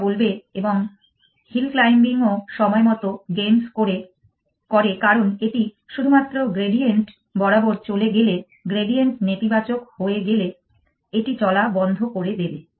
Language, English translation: Bengali, It would say and hill climbing also games on time because it only moves along the gradient it will stop moving once the gradient becomes negative